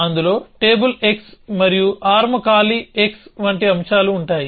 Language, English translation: Telugu, That includes things like on table x and arm empty x